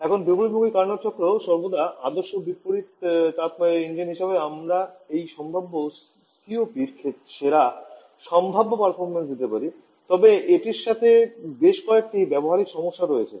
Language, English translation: Bengali, Now, while the reverse Carnot cycle is the most ideal reverse engine we can have giving the best possible performance of this possible COP but there are several practical problems with it